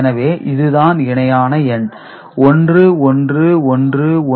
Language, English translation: Tamil, So, if the original number is 1101